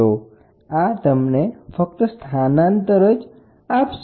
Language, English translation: Gujarati, So, this only gives you the displacement